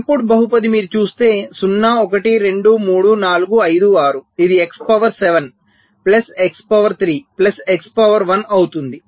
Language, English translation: Telugu, so input polynomial, if you look at it: zero, one, two, three, four, five, six, it will be x to the power seven plus x to the power three plus x to the power one